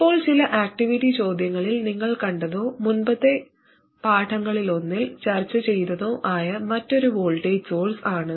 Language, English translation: Malayalam, Now another alternative which you would have seen in some activity questions or I even discussed it in one of the earlier lessons, is to have a voltage source